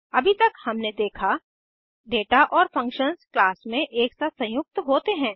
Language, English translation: Hindi, So far now we have seen, The data and functions combined together in a class